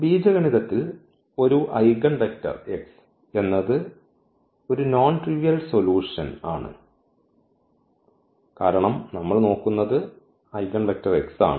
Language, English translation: Malayalam, Algebraically, an eigenvector x is a non trivial solution because we are looking for the eigenvector x which is nonzero